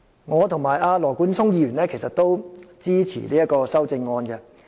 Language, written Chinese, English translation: Cantonese, 我與羅冠聰議員均支持這項修正案。, Both Mr Nathan LAW and I support this amendment